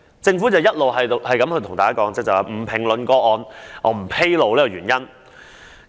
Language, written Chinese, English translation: Cantonese, 政府只是一直表示不評論個案和不披露原因。, The Government has only been reiterating that it would neither comment on individual cases nor disclose any reasons